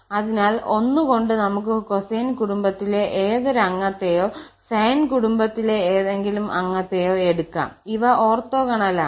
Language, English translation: Malayalam, So, this at least we have seen that with 1 we can take any member of the cosine family or any member of the sine family and these are orthogonal